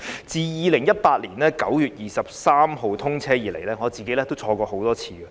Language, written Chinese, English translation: Cantonese, 自2018年9月23日通車以來，我個人多次乘坐高鐵。, Since the High Speed Rail was commissioned on 23 September 2018 I have personally taken many rides